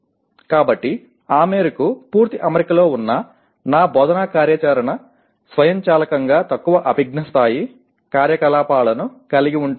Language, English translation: Telugu, So to that extent my instructional activity which is in complete alignment automatically involves the lower cognitive level activities